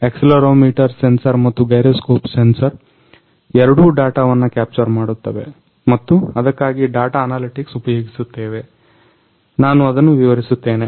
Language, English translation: Kannada, The accelerometer sensor and gyroscope sensor both will capture the data and we are using that data analytics for that I will explain that